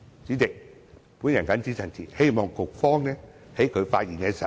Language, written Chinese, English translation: Cantonese, 主席，我謹此陳辭，希望局方可以在發言時解釋清楚。, Chairman with these remarks I implore the Bureau to give a clear explanation in its response